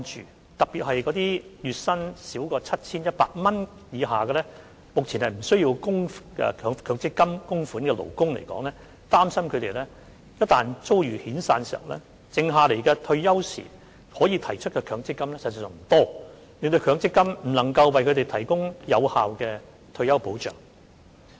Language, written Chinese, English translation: Cantonese, 議員特別關注那些月薪 7,100 元以下，目前無須向強積金計劃供款的勞工，擔心他們一旦遭遣散，他們在退休時可提取的強積金款額所餘無幾，令強積金不能為他們提供有效退休保障。, Members were particularly concerned about those workers who earn less than 7,100 per month and are currently not required to make contributions to MPF schemes . They were worried that if these workers are made redundant the remaining MPF benefits that they can withdraw upon retirement will be very small and hence MPF cannot provide effective retirement protection to workers